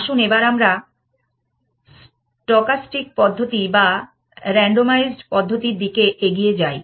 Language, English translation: Bengali, So, let us move towards stochastic methods or randomized methods